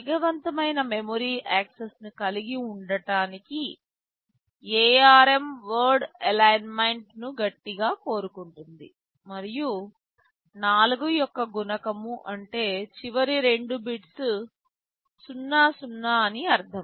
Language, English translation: Telugu, To have faster memory access, ARM insists on word alignment and multiple of 4 means the last two bits are 00